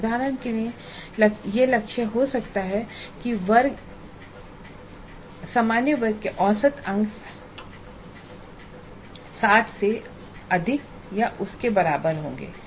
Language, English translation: Hindi, For example, the target can be that the class average marks will be greater than are equal to 60